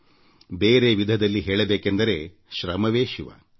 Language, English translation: Kannada, In other words, labour, hard work is Shiva